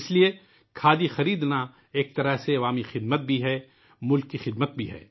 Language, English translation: Urdu, That is why, in a way, buying Khadi is service to people, service to the country